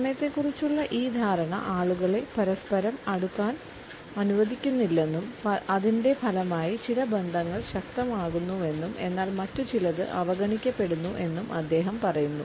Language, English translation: Malayalam, He says that this perception of time seals people from one another and as a result intensifies some relationships at the cost of others